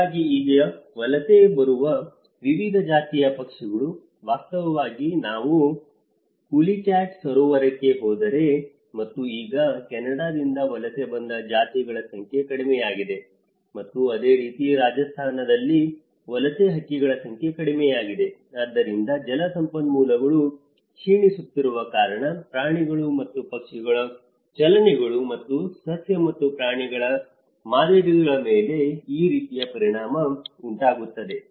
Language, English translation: Kannada, So, the migratory species now, in fact if you ever go to Pulicat lake and now, the number of species have come down which are migrated from Canada and similarly, in Rajasthan the migratory birds which are coming down so, the number of birds are coming down so because the water resources are diminishing so, this is how the impact is also caused on the animals and the birds movements and flora and fauna patterns